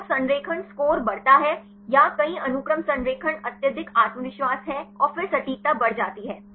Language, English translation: Hindi, So, the alignment score increases or the multiple sequence alignment is highly confident and then the accuracy increases